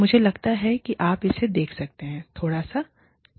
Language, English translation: Hindi, I think, you can see it, a little bit